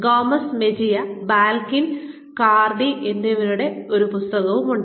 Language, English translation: Malayalam, There is this book by, Gomez Mejia, Balkin, and Cardy